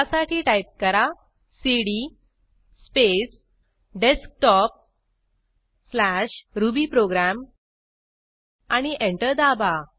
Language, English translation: Marathi, To do so, type cd space Desktop/rubyprogram and press Enter